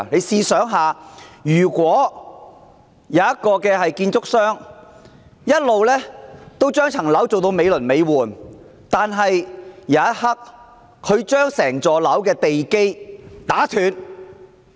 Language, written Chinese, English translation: Cantonese, 試想想，假設有家建築商，一直把一幢樓宇建得美輪美奐，但在頃刻間卻把整幢樓宇的地基打斷。, Come to think about this . Imagine there is this construction company long in the process of erecting a marvellous building . Yet it knocks the foundation of the entire building down all of a sudden